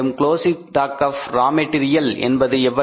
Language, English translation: Tamil, How much is a closing stock of raw material